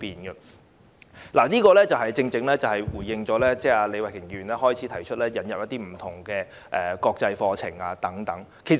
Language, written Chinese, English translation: Cantonese, 這一點正好呼應李慧琼議員在辯論開始時建議引入不同國際課程的意見。, This point actually echoes with the view given by Ms Starry LEE at the beginning of the debate that various international curricula should be introduced